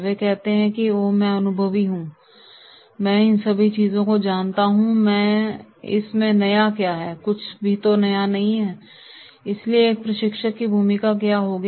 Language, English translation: Hindi, So they say “Oh, I am experienced one, I know all these things, what is new in this tell me, nothing new” so what will be the role of a trainer